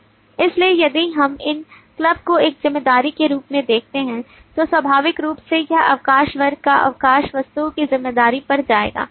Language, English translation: Hindi, so if we look into these club as a responsibility now naturally it will go to a responsibility of the leave class or the leave objects